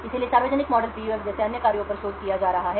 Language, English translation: Hindi, So, there are being other works such as the public model PUF which has been researched